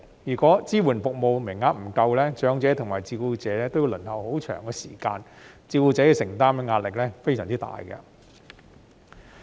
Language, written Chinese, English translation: Cantonese, 如果支援服務名額不足，長者及照顧者均要輪候很長時間，照顧者要承擔的壓力非常大。, If the quota of support services is insufficient both elderly persons and carers will need to wait for a very long time which will place carers under tremendous pressure